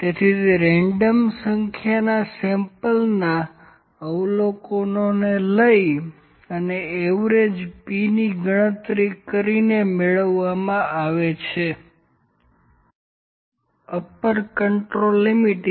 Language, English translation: Gujarati, So, it is obtained by taking the number of samples of observations at a random and computing the average P across the values